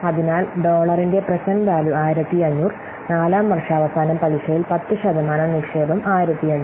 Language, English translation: Malayalam, So, the present value of dollar 1 500, 1500 invested at 10% interest at the end of fourth year